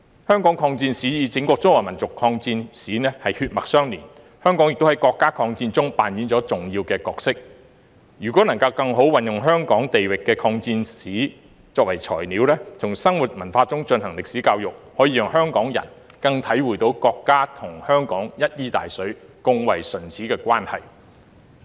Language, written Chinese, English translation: Cantonese, 香港抗戰史與整個中華民族抗戰史血脈相連，香港亦在國家抗戰中扮演重要的角色，如果能更好地運用香港地域的抗戰史作為材料，從生活文化中進行歷史教育，可讓香港人更能體會國家與香港一衣帶水、共為唇齒的關係。, The history of the War of Resistance in Hong Kong is closely connected to that of all members of the Chinese race . Hong Kong has also played an important role in the War of Resistance of the country . If the history of the War of Resistance in Hong Kong can be better used as materials for history education from our daily lives and culture Hong Kong people will be able to get a better understanding of the close and interdependent relationship between the country and Hong Kong